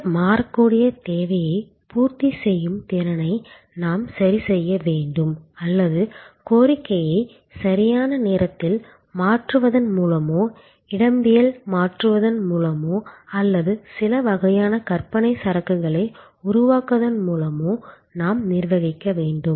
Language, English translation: Tamil, And we have to either adjust the capacity to meet this variable demand or we have to manage the demand itself by shifting it in time, shifting it in space or create some kind of notional inventory